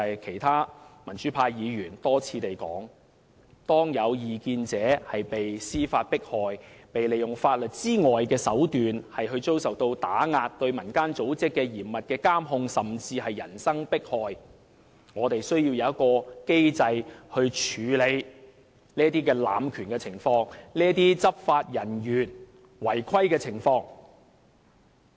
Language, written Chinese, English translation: Cantonese, 其他民主派議員多次提到，當有異見者被司法迫害、被利用法律以外的手段打壓，並對民間組織作嚴密監控，甚至人身迫害時，我們便需要有機制處理這種濫權及執法人員違規的情況。, As other democratic Members have repeatedly said when we see dissidents are subject to judicial persecutions as well as suppression other than legal means while civil organizations are under close surveillance or even personal persecutions there is an increasing need for us to put in place a mechanism to combat this sort of abuse of power and rule - breaking by enforcement officers